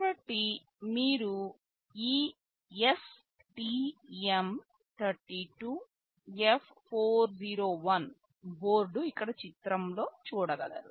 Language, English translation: Telugu, So, this STM32F401 is a board you can see the picture here